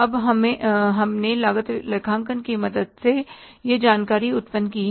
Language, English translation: Hindi, Now, we have generated this information with the help of the cost accounting